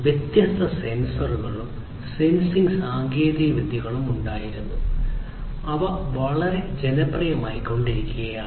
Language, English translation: Malayalam, And this happened that there were different, different sensors sensing technologies which were also parallely becoming very popular